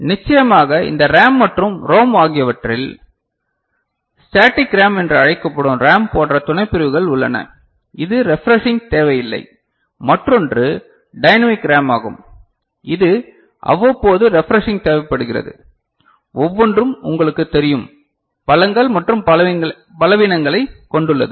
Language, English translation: Tamil, And of course, within this RAM and ROM, there are further subdivisions like in RAM that is called Static RAM, which does not require refreshing that is dynamic RAM which requires periodic refreshing, each one has its you know, strengths and weaknesses